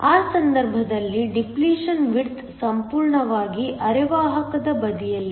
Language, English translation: Kannada, In that case the depletion width is almost entirely on the semiconductor side